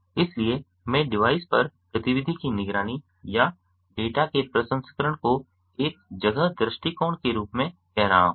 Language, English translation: Hindi, so i am calling the activity monitoring or the processing of data on the device itself as an in place approach